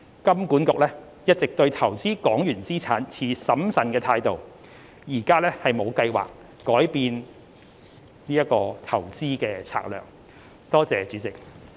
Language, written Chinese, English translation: Cantonese, 金管局一直對投資港元資產持審慎態度，現無計劃改變其投資策略。, HKMA has been cautious towards investing in Hong Kong dollar assets and currently has no plan to change such investment strategy